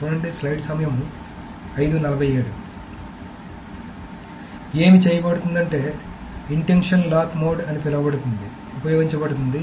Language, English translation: Telugu, So what is being done is that there is something called an intention lock mode that is being used